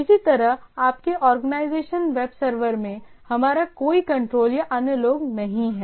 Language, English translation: Hindi, Similarly, in your organization web server, we do not have any control or the other people